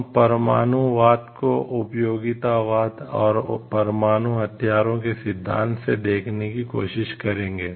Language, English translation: Hindi, We will try to see the nuclear deterrence from the theory of utilitarianism and nuclear weapons